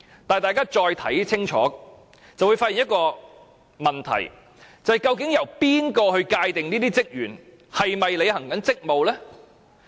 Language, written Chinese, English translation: Cantonese, 但是，大家如果再看清楚，就會發現一個問題，就是由誰界定這些職員是否在履行職務？, Yet if Members read it carefully again they may notice one question Who can decide whether or not the personnel are performing their duties?